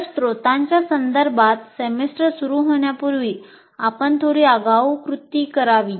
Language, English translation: Marathi, So you have to take a little advance action before the semester starts with regard to the resources